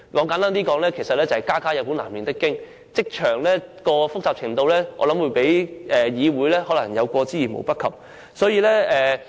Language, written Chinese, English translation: Cantonese, 簡單而言，就是家家有本難唸的經，職場發生的事情的複雜程度，可能較議會有過之而無不及。, Simply put each family has its problems and what happened in the workplace may be far more complicated than the situation in the Council